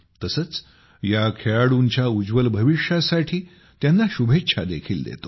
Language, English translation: Marathi, I also wish these players a bright future